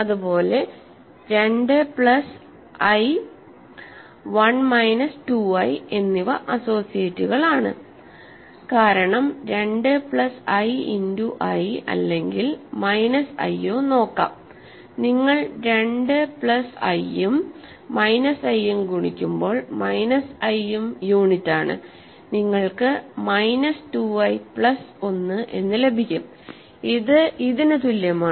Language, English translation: Malayalam, Similarly, 2 plus i and 1 minus 2 i are associates because 2 plus i times so, let us see 2 plus i times i or minus i, minus i is also unit when you multiply 2 plus i and minus i, you get minus 2 i plus 1 which is equal to this